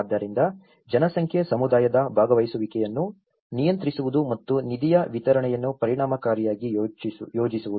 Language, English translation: Kannada, So, the population, the community participation controlling and efficiently planning the distribution of funds